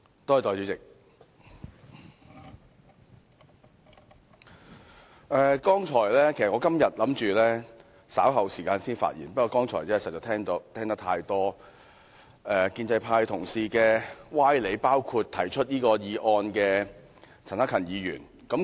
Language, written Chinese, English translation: Cantonese, 代理主席，我今天本打算稍後時間才發言，不過剛才實在聽到太多建制派同事的歪理，包括提出議案的陳克勤議員的歪理。, Deputy President I originally intended to speak at a later time today but there are indeed too many fallacies in the speeches delivered by fellow colleagues from the pro - establishment camp including those in the speech of Mr CHAN Hak - kan the mover of the motion in question